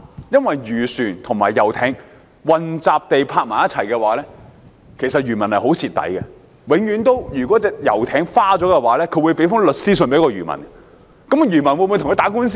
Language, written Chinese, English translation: Cantonese, 因為漁船和遊艇混集停泊，漁民其實非常吃虧，如果遊艇被刮花，遊艇艇主便會向漁民發律師信，但漁民會否跟他打官司呢？, When fishing vessels and yachts all berth in the same area fishermen are usually the disadvantaged ones . If a yacht sustains scratches its owner will issue a letter to the fisherman concerned through a lawyer . But will the fisherman go to court with the yacht owner?